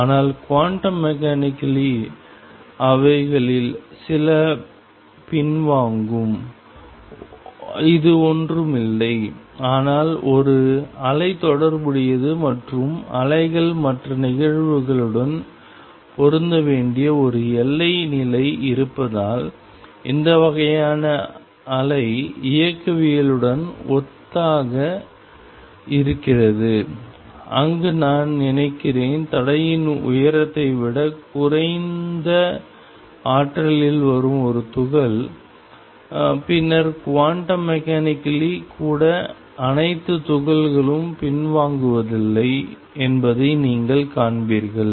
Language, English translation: Tamil, But quantum mechanically some of them would turned back and this is nothing, but because there is a wave associated and there is a boundary condition where waves have to match the other phenomena which is similar to this kind of wave mechanics is where suppose, I have a particle coming at energy lower than the barrier height, then you will find that even quantum mechanically all the particles go back none the less